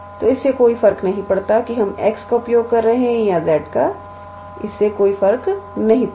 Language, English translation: Hindi, So, it does not matter whether we are using x or z it does not matter